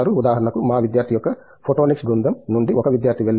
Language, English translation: Telugu, For example, we have from our photonics group 1 of our student have gone into